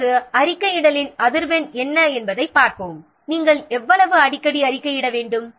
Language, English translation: Tamil, Now let's see what is the frequency of reporting